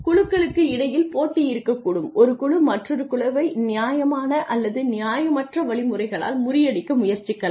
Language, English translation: Tamil, And there could be competition between teams one team may try to outdo another by fair or unfair means